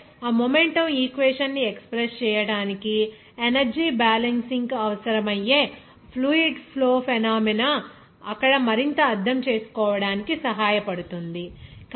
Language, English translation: Telugu, Also, fluid flow phenomena where energy balance will be required to express that phenomena, that momentum equation, then there it will be helpful to further understand